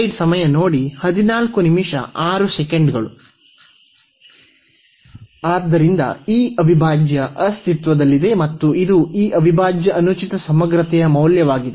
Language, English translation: Kannada, So, this integral exists and this is the value of this integral improper integral